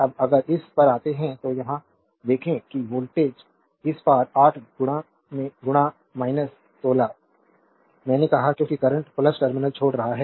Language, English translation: Hindi, Now if you come to this your if you come here look that voltage across this your it is 8 into minus 1 6 I told you because current is leaving the plus terminal